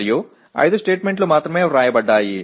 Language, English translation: Telugu, And there are only 5 statements that are written